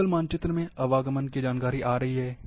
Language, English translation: Hindi, In Google maps, traffic information is coming